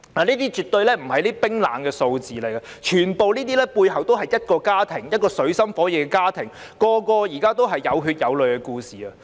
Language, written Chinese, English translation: Cantonese, 這些絕對不是冷冰冰的數字，背後全部是水深火熱的家庭，每個都是有血有淚的故事。, These are definitely not cold figures only but behind them are many families in dire straits each with a story of blood and tears